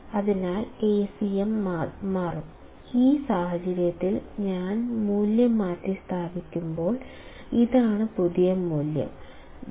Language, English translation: Malayalam, So, Acm would change; in this case when I substitute the value; this is the new value; 0